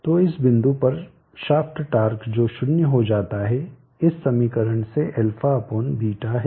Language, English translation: Hindi, So at this point the shaft torque which becomes 0 is a/beeta from this equation